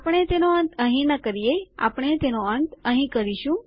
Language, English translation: Gujarati, We dont end it here were going to end it here